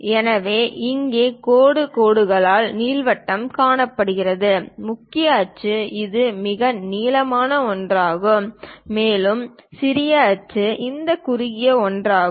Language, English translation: Tamil, So, here ellipse is shown by these dashed lines; the major axis is this longest one, and the minor axis is this shortest one